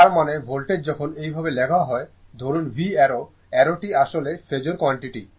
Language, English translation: Bengali, That means voltage when we write this way suppose V arrow, I arrow this is actually phasor quantity, right